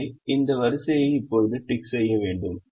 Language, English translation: Tamil, so this row will now have to be ticked again